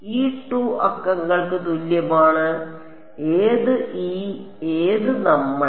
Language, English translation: Malayalam, e equal to 2 numbered which e which Us